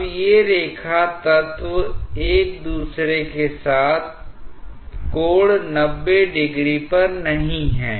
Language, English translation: Hindi, Now, these line elements are no more at an angle 90 degree with each other